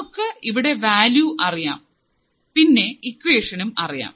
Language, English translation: Malayalam, So, we know this value right, we know this equation